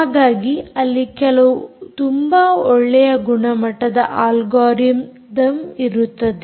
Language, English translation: Kannada, so there are some very standard algorithms